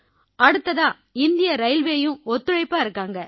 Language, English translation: Tamil, Next, Indian Railway too is supportive, sir